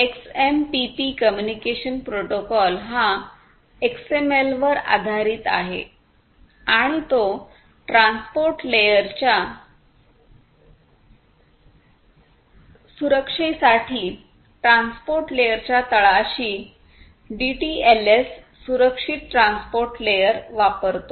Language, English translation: Marathi, So, the communication protocol XMPP is based on XML and it uses DTLS secure transport layer at the bottom in the transport layer for transport layer security